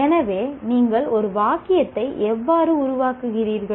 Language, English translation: Tamil, So how do you form a sentence